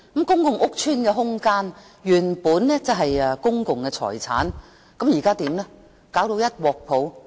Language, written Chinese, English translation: Cantonese, 公共屋邨的空間原本是公共財產，現在卻弄至一團糟。, Originally the space in public housing estates is public property but now it has been make a mess